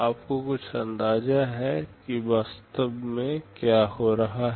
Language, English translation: Hindi, You get some idea what is actually happening